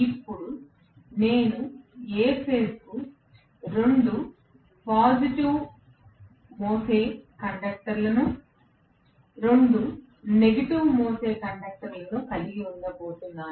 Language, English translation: Telugu, Now, I am going to have 2 positive carrying conductors, 2 negative carrying conductors for A phase